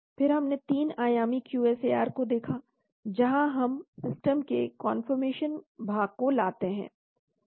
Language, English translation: Hindi, Then we looked at 3 dimensional QSAR, where we bring in the conformation part of the system